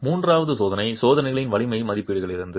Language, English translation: Tamil, The third is from strength estimates from experimental tests